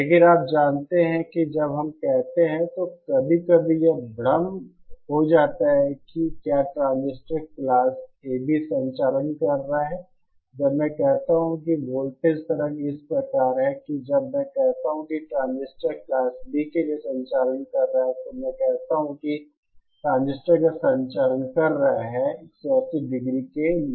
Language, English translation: Hindi, But the so you know when we say, sometimes it becomes confusing that whether the transistor is conducting Class AB, when I say that the that the voltage waveform as that when I say that the transistor is conducting say for Class B, I say that the transistor is conducting for 180 degree